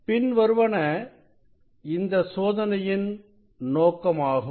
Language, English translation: Tamil, aim of this experiment are the following